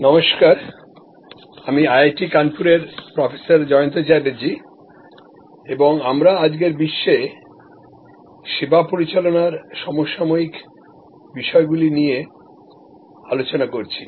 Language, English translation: Bengali, Hello, I am Jayanta Chatterjee from IIT Kanpur and we are discussing services management contemporary issues in today's world